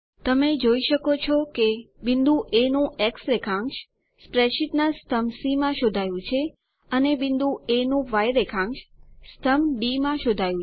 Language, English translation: Gujarati, You can see that the x coordinate of point A is traced in column C of the spreadsheet and y coordinate of point A in column D